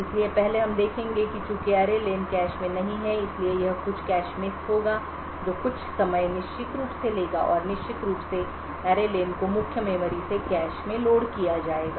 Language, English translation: Hindi, so first we would see that since array len is not in the cache it would cause some cache miss which would take constable amount of time and of course array len to be loaded from the main memory and to the cache memory